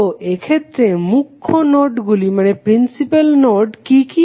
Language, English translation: Bengali, So, what are the principal nodes in this case